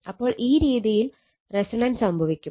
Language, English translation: Malayalam, So, now, resonance when resonance will occur